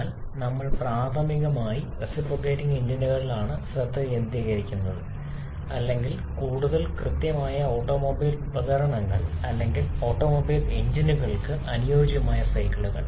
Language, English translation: Malayalam, But we primarily focus on the reciprocating engines or to be more precise automobile devices or cycles suitable for automobile engine